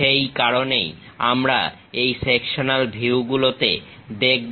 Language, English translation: Bengali, For that purpose we really look at this sectional views